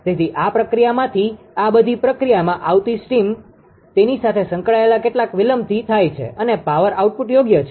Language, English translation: Gujarati, So, from this processor steams coming all this process some delays associated with that and according the power output right